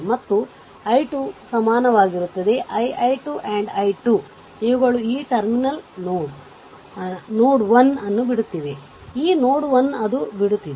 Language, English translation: Kannada, So, is equal to, right is equal to that i 2, i i 2 and i 3, these are leaving this terminal node 1, this node 1 it is leaving